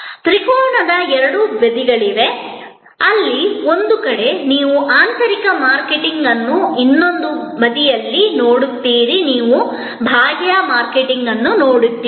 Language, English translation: Kannada, There are two sides of the triangle, where on one side you see internal marketing on the other side you see external marketing